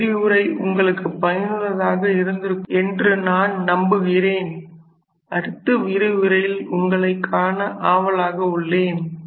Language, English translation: Tamil, So, I hope this lecture was fruitful to you and I look forward to your next lecture